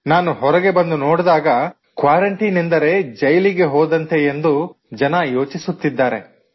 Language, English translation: Kannada, Yes, when I came out, I saw people feeling that being in quarantine is like being in a jail